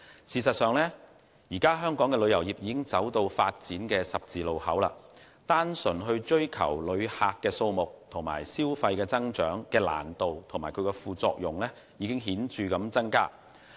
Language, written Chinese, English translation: Cantonese, 事實上，香港旅遊業已走到發展的十字路口，單純追求旅客數目和消費增長的難度和副作用已顯著增加。, In fact the development of Hong Kongs tourism industry has already reached a crossroads . The difficulty and side effects of solely pursuing visitor arrivals and consumption growth have remarkably increased